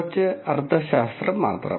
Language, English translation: Malayalam, Just a little bit of semantics